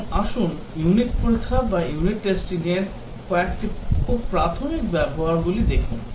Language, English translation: Bengali, Now, let us look at some very basic uses in unit testing